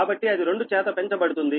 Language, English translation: Telugu, so it will be multiplied by two